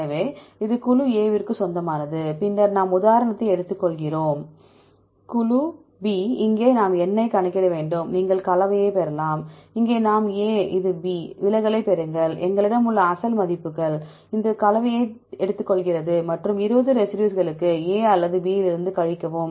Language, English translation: Tamil, So, this is belongs to group A, then we take the example group B here also we have to calculate N, you can get the composition, and here we can see, this is A this is B, get the deviation, the original values we have here, these are original values, it take the composition and subtract from either A or B for 20 residues